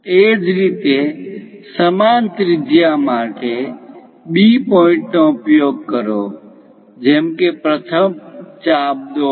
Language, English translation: Gujarati, Similarly, use B point for the same radius; cut that first arc